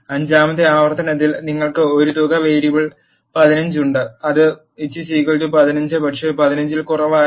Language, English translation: Malayalam, At the fifth iteration what it does is you have a sum variable 15 which is equal to 15, but not less than 15